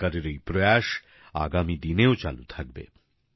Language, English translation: Bengali, The efforts of the Government shall also continue in future